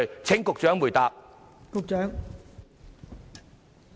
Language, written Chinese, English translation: Cantonese, 請局長回答。, Secretary please answer the question